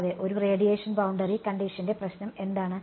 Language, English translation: Malayalam, Yeah, what is the problem with a radiation boundary condition